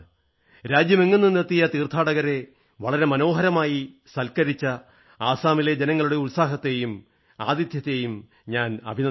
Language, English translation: Malayalam, Here I would like to appreciate the warmth and hospitality of the people of Assam, who acted as wonderful hosts for pilgrims from all over the country